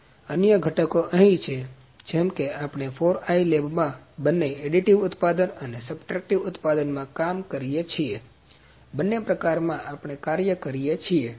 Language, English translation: Gujarati, So, other components are here like we work in additive manufacturing and subtractive manufacturing both in 4i lab, so in both the modes we work